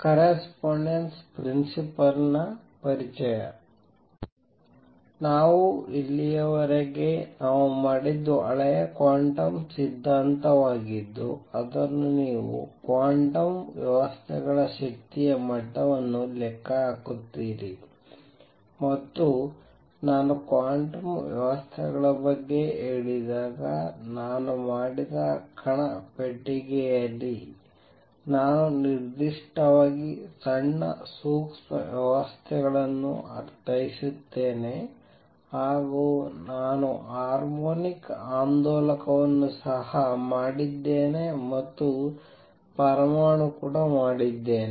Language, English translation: Kannada, Let me just review what we have done so far and what we have done is the old quantum theory in which you calculate it energy levels of quantum systems and when I say quantum systems, I mean small microscopic systems in particular, what I did was particle in a box I also did harmonic oscillator and I also did an atom